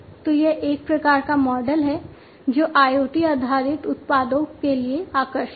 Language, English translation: Hindi, So, this is a type of model that is attractive for IoT based products